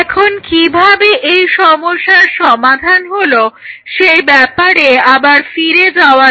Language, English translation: Bengali, So, now getting back how this problem was targeted